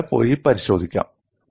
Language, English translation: Malayalam, This you can go and verify